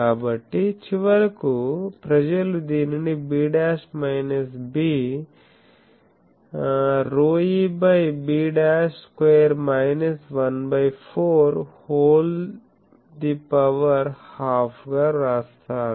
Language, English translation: Telugu, So, finally, people write it as b dashed minus b rho e by b dash square minus 1 fourth to the power half